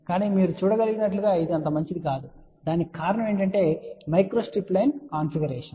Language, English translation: Telugu, But as you can see it is not so good the reason for that is that the micro strip line configuration